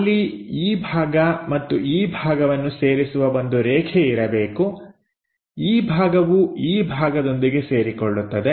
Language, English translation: Kannada, So, there should be a line which joins this part all the way to that part, this part joins with that part